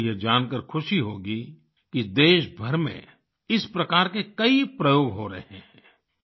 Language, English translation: Hindi, You will be happy to know that many experiments of this kind are being done throughout the country